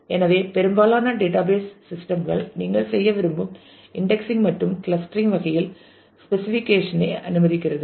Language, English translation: Tamil, So, most database system allow specification of the type of indexing and clustering that you want to do